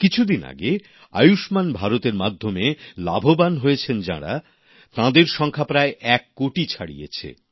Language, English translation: Bengali, A few days ago, the number of beneficiaries of 'Ayushman Bharat' scheme crossed over one crore